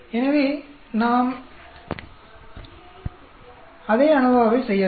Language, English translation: Tamil, So, we can do the same ANOVA